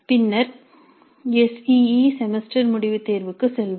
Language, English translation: Tamil, Then let us move on to the SEA semester and examination